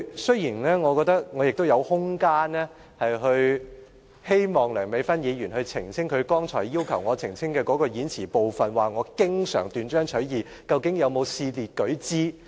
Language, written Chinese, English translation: Cantonese, 雖然我覺得我亦有空間，讓梁美芬議員澄清她剛才要求我澄清的言詞部分，究竟她說我經常斷章取義，能否試列舉之？, Nevertheless I am not going to even though I think I also have reasons for asking Dr Priscilla LEUNG to clarify what she wants me to clarify